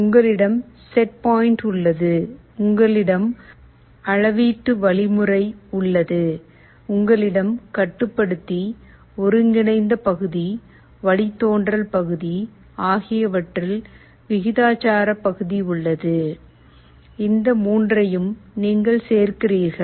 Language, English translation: Tamil, You have the set point, you have the measuring mechanism, you have a proportional part in the controller, integral part, derivative part, you add all of these three up